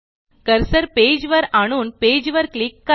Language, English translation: Marathi, Move the cursor to the page and click on the page